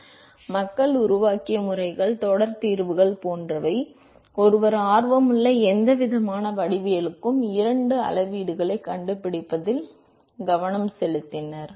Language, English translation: Tamil, So, the methods that people have developed, series solutions etcetera they concentrated on finding these two quantities for any kind of geometry that one was interested in